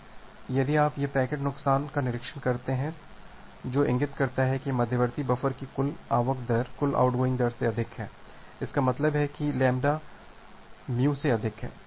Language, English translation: Hindi, Now, if you observe a packet loss here that indicates that the total incoming rate to the intermediate buffer is exceeding from the total outgoing rate; that means, lambda is more than mu